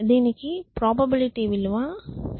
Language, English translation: Telugu, So, this probability value is 0